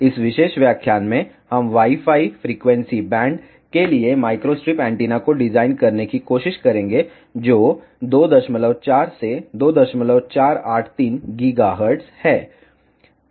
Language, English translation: Hindi, In this particular lecture, we will try to design micro strip antenna for Wi Fi frequency band that is 2